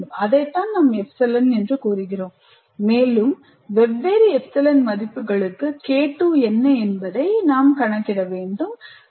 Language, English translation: Tamil, And to that extent for different specified epsilon, I compute what K2 is